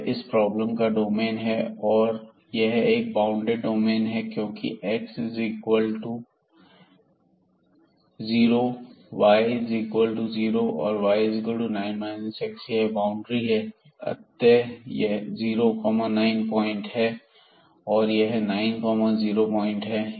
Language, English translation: Hindi, So, this is the domain of the problem the bounded domain here because these x is equal to 0 y is equal to 0 and y is equal to 9 minus x, they are the boundaries here this is 9 0 point this is 0 9 point